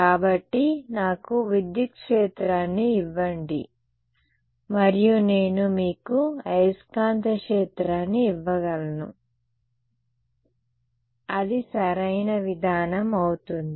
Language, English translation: Telugu, So, give me the electric field and I can give you the magnetic field that is going to be the approach ok